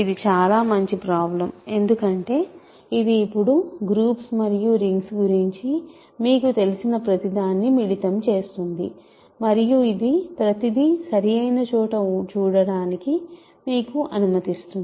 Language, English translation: Telugu, So, this is a very nice problem because, it now combines everything that you know about groups and rings and it allows you to see everything in its proper place